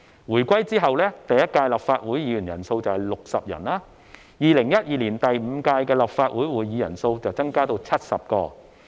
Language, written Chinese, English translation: Cantonese, 回歸後，第一屆立法會議員人數有60人。2012年第五屆立法會會議人數增至70人。, The first Legislative Council after the reunification had 60 Members and the number increased to 70 Members in the fifth Legislative Council in 2012